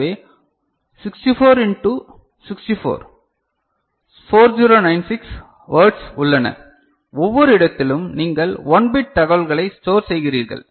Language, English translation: Tamil, So, 64 into 64 so, 4096 words are there and in each place you are storing 1 bit of information